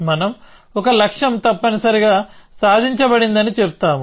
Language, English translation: Telugu, we will say that a goal has been achieved essentially